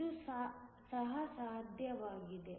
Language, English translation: Kannada, So, that is also possible